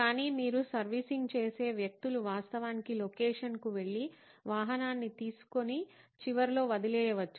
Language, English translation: Telugu, But you, the servicing people can actually go to the location, pick up the vehicle and drop it off at the end